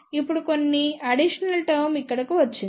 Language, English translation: Telugu, Now some additional term has come over here